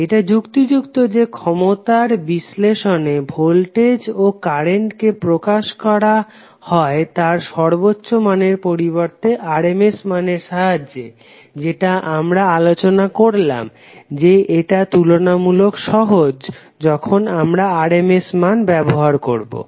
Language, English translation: Bengali, It is convenient in power analysis to express voltage and current in their rms value because it is more convenient to do the calculations and the power calculations which is discussed is also easy when we use the rms value